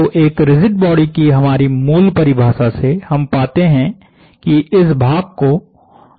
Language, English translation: Hindi, So, this from our basic definition of a rigid body we find that this part has to go to 0